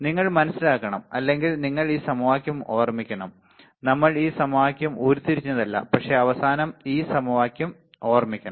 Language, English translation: Malayalam, You have to understand or you to remember this equation, we are not deriving this equation, but at last you have to remember this equation ok